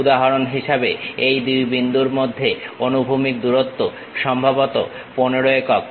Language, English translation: Bengali, For example, the horizontal distances between these 2 points supposed to be 15 units